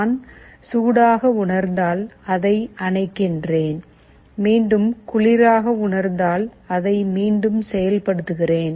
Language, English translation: Tamil, I am turning it off if I feel hot, I turn it on if I feel cold again, I turn it on again